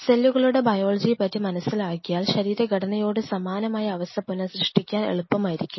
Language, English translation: Malayalam, Because what is I understand the biology of the cells it will help us to recreate a situation which is similar to that of inside the body